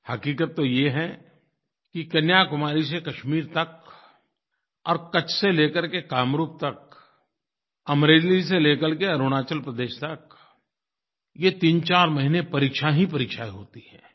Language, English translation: Hindi, Actually from Kashmir to Kanyakumari and from Kutch to Kamrup and from Amreli to Arunachal Pradesh, these 34 months have examinations galore